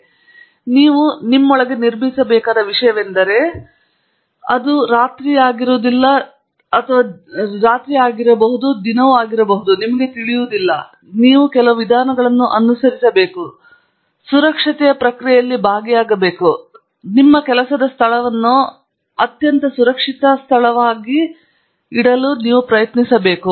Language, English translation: Kannada, So, it is something that you have to build into you; it doesnÕt happen overnight; itÕs not something that, you know, itÕs just not just a matter following just a few procedures; it is being involved in the process of safety, and only then, you can actually, you know, make your work place a very safe work place